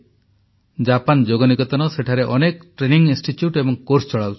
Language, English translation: Odia, Japan Yoga Niketan runs many institutes and conducts various training courses